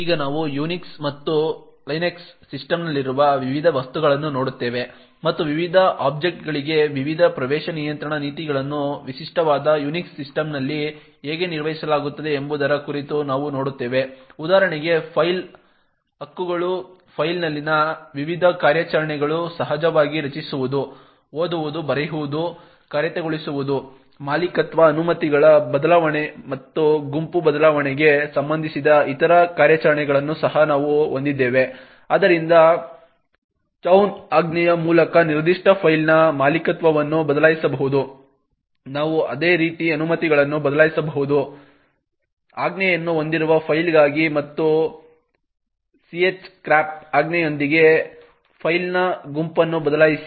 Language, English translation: Kannada, Now we will look at the various objects in the Unix and Linux system and we will see about how the various access control policies for the various objects are managed in a typical Unix system, so for example a file rights, the various operations on a file are of course the creation, read, write, execute, we also have other operations which relate to ownership, change of permissions and change group, so one could change the ownership of a particular file by the chown command, we can similarly change the permissions for a file with a chmod command and change group of a file with chgrp command